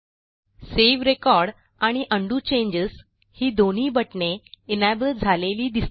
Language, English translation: Marathi, Notice that both the Save record button and the Undo changes button are enabled for use